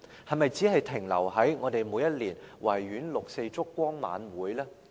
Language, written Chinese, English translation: Cantonese, 是否只是停留在我們每年於維園舉行六四燭光晚會呢？, Does it only remain at the stage of holding the 4 June candlelight vigil every year at the Victoria Park?